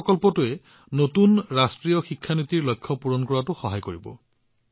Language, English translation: Assamese, This project will help the new National Education Policy a lot in achieving those goals as well